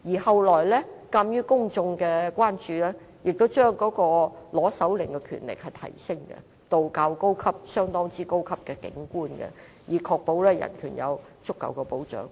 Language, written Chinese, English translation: Cantonese, 後來鑒於公眾的關注，政府也把申請手令的權限提升，要極高級的警官批准才能取得手令，確保人權有足夠的保障。, Subsequently due to public concerns the Government elevated the level of authorization for the search warrant . It was determined that only an extremely high - ranking police officer could authorize a search warrant in order to safeguard human rights